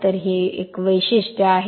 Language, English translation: Marathi, So, this is the characteristic